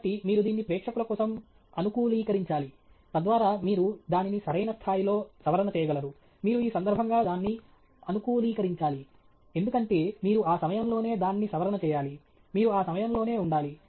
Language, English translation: Telugu, So, you have to customize it for the audience, so that you pitch it at the right level; you have to customize it for the occasion because you have to pitch it within that time, you have to stay within that time